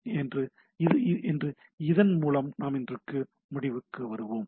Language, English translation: Tamil, So, with this let us conclude today